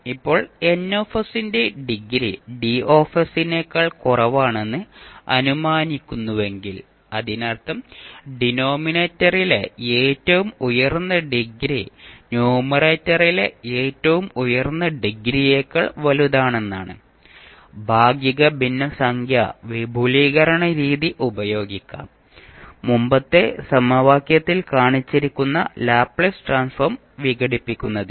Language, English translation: Malayalam, Now, if we assume that the degree of Ns is less than the degree of Ds that means the highest degree of s in denominator is greater than the highest degree of s in numerator we can apply the partial fraction expansion method to decompose the Laplace Transform which was shown in the previous equation